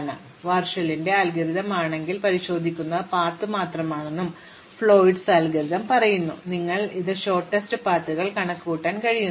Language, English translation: Malayalam, So, if Warshall's algorithm, we only checking is there of path and Floyds algorithm says that, you can actually adapt it to compute shortest paths